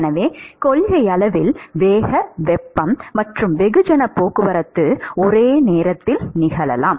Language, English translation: Tamil, So in principle, the momentum heat and mass transport, they can in principle occur simultaneously